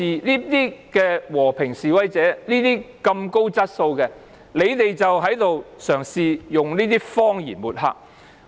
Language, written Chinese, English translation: Cantonese, 如此和平、高質素的示威者，你們卻嘗試用謊言抹黑。, You try to use lies to smear such a group of peaceful and quality protesters